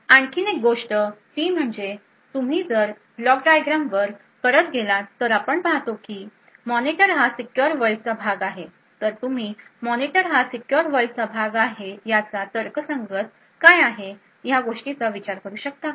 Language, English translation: Marathi, Another thing to think about is if you go back to the block diagram we see that the monitor is part of the secure world so could you think about what is the rational for having the monitor as part of the secure world